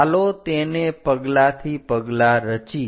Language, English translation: Gujarati, Let us construct that step by step